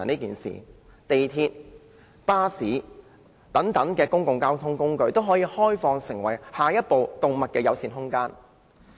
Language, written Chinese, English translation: Cantonese, 港鐵、巴士等公共交通工具，均可開放成為下一個動物友善空間。, Public transport such as MTR and buses can all be opened up as the next animal - friendly space